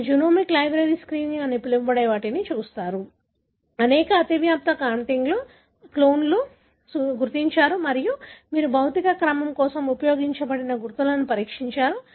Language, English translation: Telugu, So, you have done what is called as genomic library screening, identified several overlapping contigs, clones and you have tested the markers that you have used for the physical order